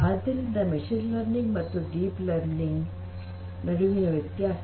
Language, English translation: Kannada, So, difference between machine learning and deep learning